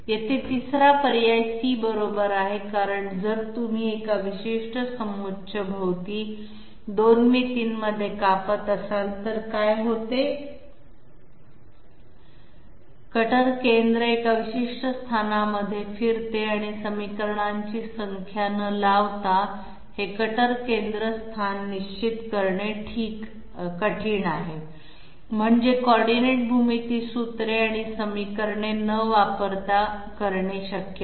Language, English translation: Marathi, Here the third; number C is correct because if you are cutting all around a particular contour in 2 dimensions, what happens is that the cutter centre moves around in a particular locus and it is difficult to determine this cutter centre locus without applying number of equations I mean number of coordinate geometry formulae and equations